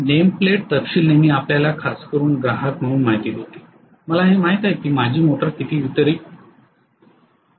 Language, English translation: Marathi, The name plate detail always gives you especially as a consumer I would like to know how much my motor can deliver